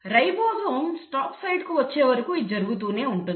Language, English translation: Telugu, Now this keeps on happening till the ribosome encounters the stop site